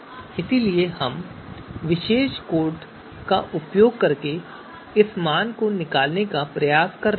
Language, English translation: Hindi, So we are trying to extract that value in this using this particular piece of code